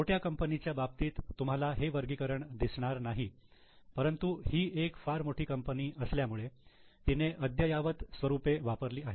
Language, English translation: Marathi, For smaller companies often you may not see this classification but since it is a very big company it has used more latest format